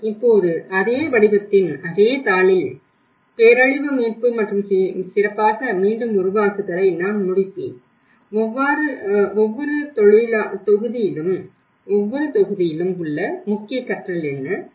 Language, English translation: Tamil, But now, I will conclude with what we learnt in the same sheet of the same format, disaster recovery and build back better and this course from each module what are our key learnings